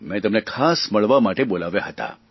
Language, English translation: Gujarati, I had called them especially to meet me